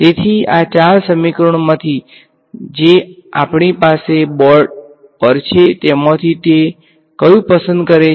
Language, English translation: Gujarati, So, from these four equations that we have on the board which of these does it lo like